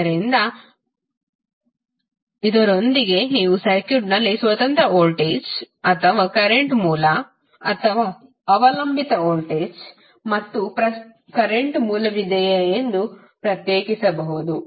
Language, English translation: Kannada, So, with this you can differentiate whether in the circuit there is a independent voltage or current source or a dependent voltage and current source